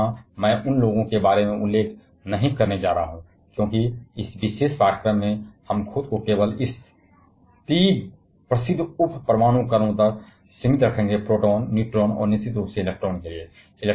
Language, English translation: Hindi, But here I am not going to mention about those, because in this particular course we shall be restricting ourselves only to this 3 well known sub atomic particles; proton, neutron and for course electron